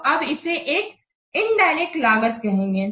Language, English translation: Hindi, Now what is about indirect benefits